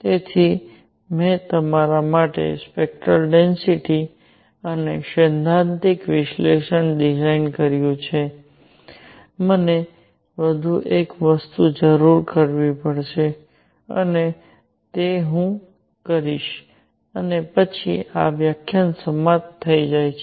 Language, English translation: Gujarati, So, I have designed a spectral density for you and theoretically analysis, I will need one more thing and that is I will do that and then this lecture gets over